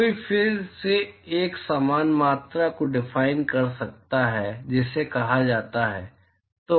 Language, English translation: Hindi, One could again define a similar quantity called absorptivity